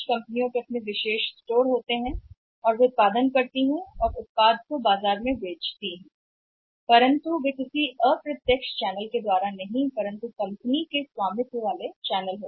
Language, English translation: Hindi, Some companies have their own exclusive stores and they manufacture and sell the product in the market not through any indirect channels by the company owned channels